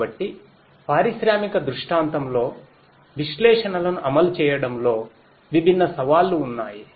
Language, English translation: Telugu, So, there are different challenges in implementing analytics in an industrial scenario